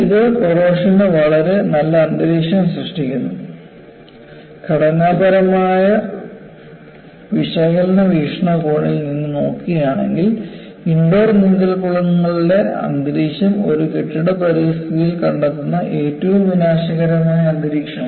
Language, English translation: Malayalam, So, this creates a very nice atmosphere for corrosion and if you look at from structural analysis point of view, the atmosphere of indoor swimming pools is one of the most aggressive to be found in a building environment